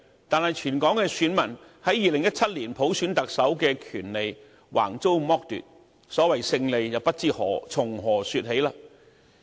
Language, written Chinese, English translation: Cantonese, 但是，全港選民於2017年普選特首的權利橫遭剝奪，所謂"勝利"不知從何說起。, However given that all electors in Hong Kong were brutally deprived of their right to elect the Chief Executive in 2017 to say that was a victory defied all logic